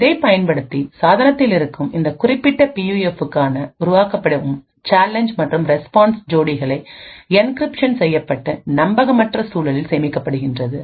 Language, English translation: Tamil, Using this, the challenge and response pairs which is generated for this particular PUF present in the device is encrypted and stored in an un trusted environment